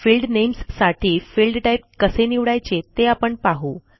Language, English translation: Marathi, Let us see how we can choose Field Types for field names